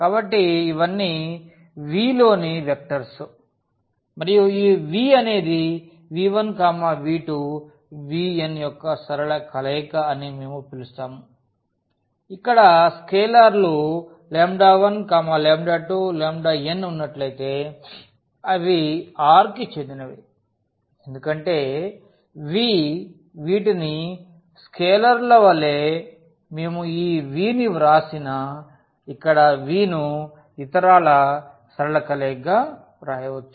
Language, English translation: Telugu, So, these all are vectors in V and we call that this V is a linear combination of v 1, v 2, v 3, v n if there exists scalars lambda 1, lambda 2, lambda 3, lambda n and they belongs to R because V these as a as the scalars as such that we can write down this v here the given v as a linear combination of the others